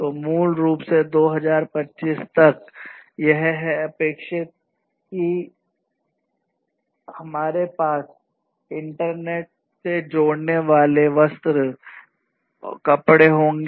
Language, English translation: Hindi, So, basically by 2025, it is expected that we will have the different clothing, the different fabrics, etc connected to the internet